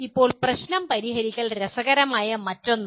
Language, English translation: Malayalam, Now problem solving is another interesting one